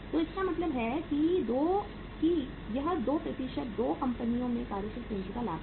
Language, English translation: Hindi, So it means this these 2 percentages are the working capital leverage in the 2 companies